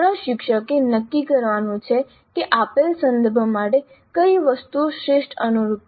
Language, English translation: Gujarati, So the instructor has to decide which are all the items which are best suited for the given context